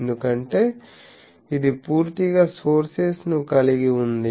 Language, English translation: Telugu, Because this is completely enclosing the sources